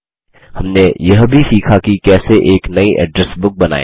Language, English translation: Hindi, We also learnt how to: Create a New Address Book